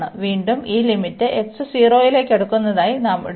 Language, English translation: Malayalam, And again we have to take this limit as x approaching to 0, so when we take this limit x approaches to x approaches to 0